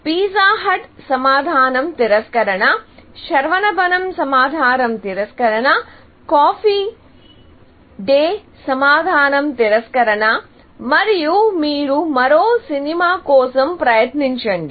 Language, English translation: Telugu, So, pizza hut; answer is no, Saravanaa Bhavan; the answer is no, Cafe Coffee Day; the answer is no, essentially; then, you try one more movie